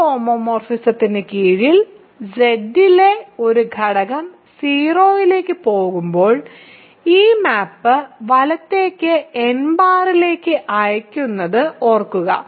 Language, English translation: Malayalam, So, when does an element in Z go to 0 under this homomorphism, remember this map sends n to n bar right